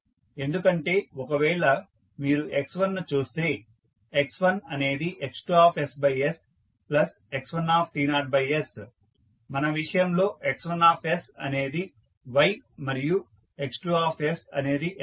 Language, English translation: Telugu, So, because if you see x1, x1 is nothing but x2 by s into x1 t naught by s in our case x1s is y x2s is sy